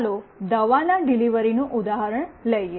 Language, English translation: Gujarati, Let us take the example as delivery of medicine